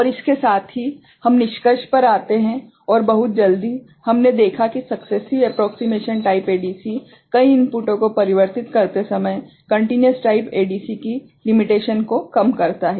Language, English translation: Hindi, And with this we come to the conclusion and very quickly we have seen that successive approximation type ADC overcomes the limit of continuous type ADC when converting multiple inputs